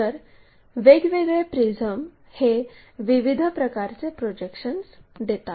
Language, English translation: Marathi, This is the way a prism we will have projections